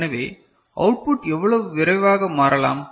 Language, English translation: Tamil, So, how quickly output can change